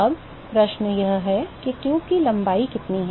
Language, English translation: Hindi, Now question is, what is the length of the tube